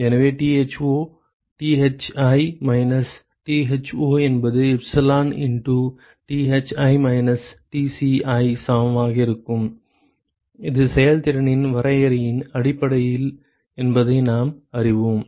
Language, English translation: Tamil, So, we know that Tho Thi minus Tho that is equal to epsilon into Thi minus Tci are simply based on the definition of effectiveness ok